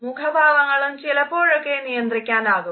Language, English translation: Malayalam, Facial expressions can also be sometimes controlled